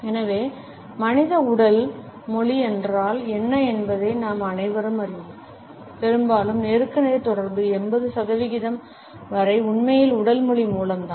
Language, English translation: Tamil, So, we all know what human body language is; often times up to 80 percent of face to face communication is really through body language